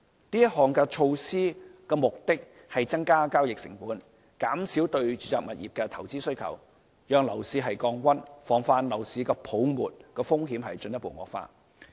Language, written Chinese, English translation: Cantonese, 這項措施的目的為增加交易成本，減少對住宅物業的投資需求，讓樓市降溫，防範樓市泡沫風險進一步惡化。, The measure aims at increasing the transaction cost and thus reducing the demand for investment in residential properties so as to cool down the property market and prevent further increase in the risks of a housing bubble